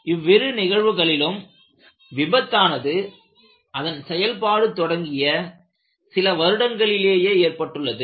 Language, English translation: Tamil, In both of those cases, the failure occurred immediately after the few years of its operation